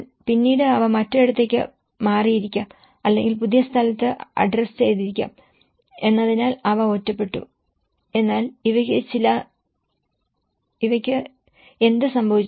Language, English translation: Malayalam, But then these are left isolated because they might have moved to other place or they might have been adjusted to in a new place but what happened to these